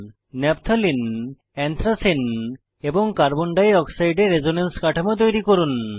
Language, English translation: Bengali, Draw resonance structures of Naphthalene, Anthracene and Carbon dioxide This is the required reaction pathway